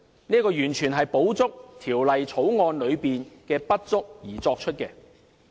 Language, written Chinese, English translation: Cantonese, 這完全是為補充《條例草案》的不足。, The amendments only seek to make up for the deficiencies of the Bill